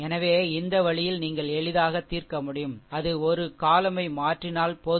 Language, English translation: Tamil, So, this way you can easily solve, it just replace one column just shift it, right